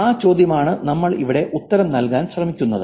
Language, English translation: Malayalam, That's the problem, that's the question that we're going to answer here